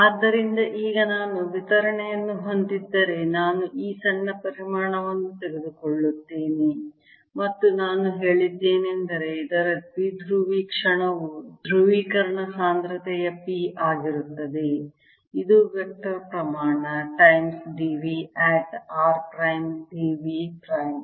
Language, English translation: Kannada, let's take this small volume and i just said that the dipole moment of this is going to be the polarization density: p, which is a vector quantity times d v at r prime d v prime